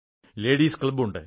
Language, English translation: Malayalam, There could be a Ladies' club